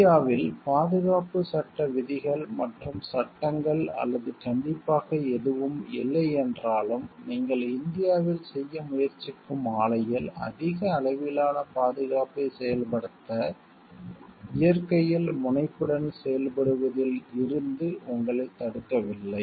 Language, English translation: Tamil, Even if safety law rules and laws in India or that not strict nothing stops you from being proactive in nature to implement high degree of safety in the plant that you are to trying to do in India